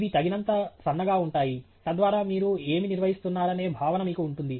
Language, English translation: Telugu, These are thin enough so that you can have enough of feel of what it is that you are handling